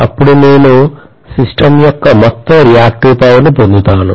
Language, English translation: Telugu, Then I will get the overall reactive power of the system